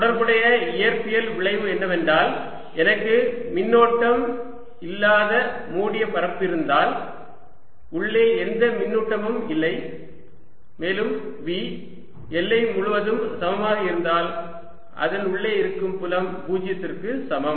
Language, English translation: Tamil, related physical phenomena is that if i have a close surface with no charge, no charge inside and v same throughout the boundary, then field inside is equal to zero